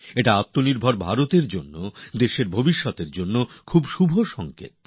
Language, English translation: Bengali, This is a very auspicious indication for selfreliant India, for future of the country